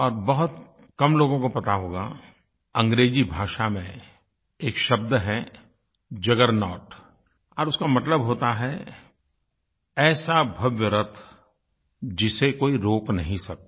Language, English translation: Hindi, But few would know that in English, there is a word, 'juggernaut' which means, a magnificent chariot, that is unstoppable